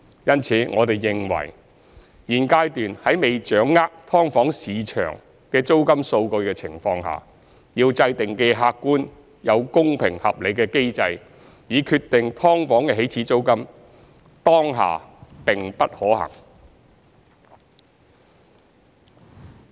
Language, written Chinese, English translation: Cantonese, 因此，我們認為現階段在未掌握"劏房"市場的租金數據的情況下，要制訂既客觀又公平合理的機制以決定"劏房"起始租金，當下並不可行。, As a result we consider that in the absence of data on the rent of SDUs in the market it is infeasible to devise an objective and fair mechanism for determining the initial rent of an SDU at this stage